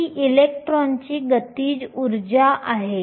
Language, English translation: Marathi, This is the kinetic energy of an electron